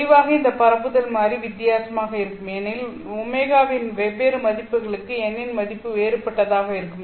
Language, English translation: Tamil, Clearly this propagation constant will be different because for different values of omega, the value of n will be different